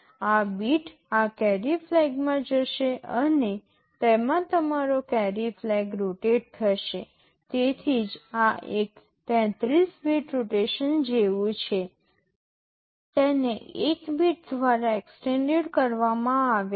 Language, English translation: Gujarati, This bit will go into this carry flag and carry flag will get rotated in it, that is why this is something like a 33 bit rotation, this is called extended by 1 bit